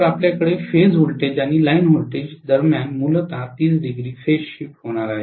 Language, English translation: Marathi, So we are going to have essentially a 30 degree phase shift between the phase voltages and line voltages